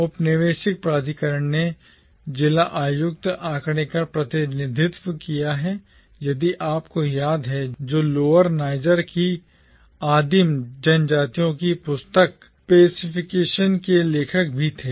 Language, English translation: Hindi, Colonial authority represented by the figure of the District Commissioner, if you remember, who was also the author of the book Pacification of the Primitive Tribes of Lower Niger